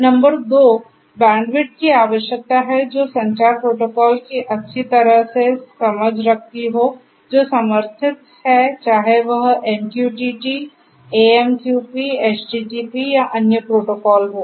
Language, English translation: Hindi, Number two is the bandwidth requirement which is well understood the communication protocols that are supported whether it is MQTT, AMQP, HTPP or you know the other protocols that are there